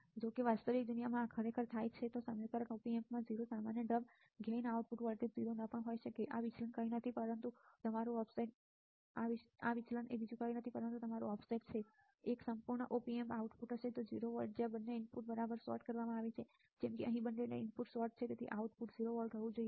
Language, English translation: Gujarati, However, in the real world this really happens even in the Op Amp in equation has 0 common mode gain the output voltage may not be 0 this deviation is nothing, but your offset, this deviation is your offset a perfect Op Amp would output exactly have 0 volts where both inputs are sorted right like here both inputs are sorted and output should be 0 volts right